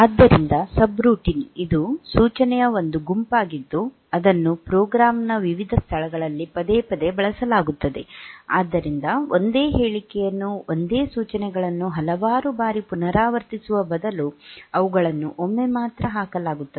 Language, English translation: Kannada, So, subroutine it is a group of instructions that will be used repeated for repeatedly at different locations in the program; so rather than repeating the same statement same instructions several times